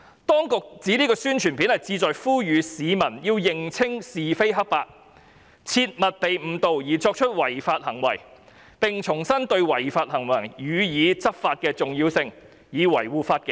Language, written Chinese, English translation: Cantonese, 當局指宣傳短片旨在呼籲市民要認清是非黑白，切勿被誤導而作出違法行為，並重申對違法行為予以執法的重要性，以維護法紀。, According to the authorities this API calls upon the public to see the clear picture and not be misled to violate the law; it also reiterates the importance of taking enforcement action against illegal acts to maintain law and order